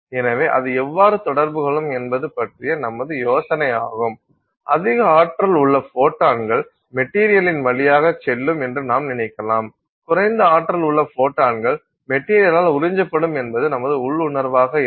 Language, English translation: Tamil, So, notionally we may think that higher energy photons will go through a material, lower energy photons will get absorbed by the material